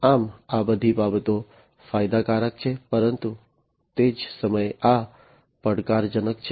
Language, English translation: Gujarati, So, all these things are advantageous, but at the same time these are challenging